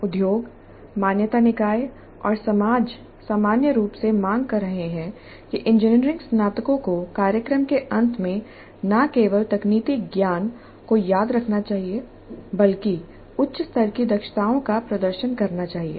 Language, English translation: Hindi, Industry, accreditation bodies and society in general are demanding that engineering graduates must demonstrate at the end of the program not just memorized technical knowledge but higher order competencies